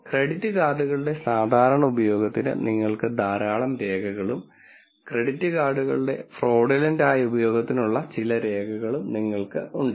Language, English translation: Malayalam, And you have lots of records for normal use of credit card and some records for fraudulent use of credit card